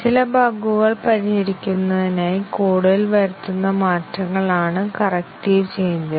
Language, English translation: Malayalam, Corrective changes are those changes, which are made to the code to fix some bugs